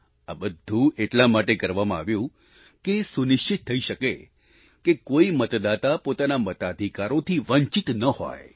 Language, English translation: Gujarati, All this was done, just to ensure that no voter was deprived of his or her voting rights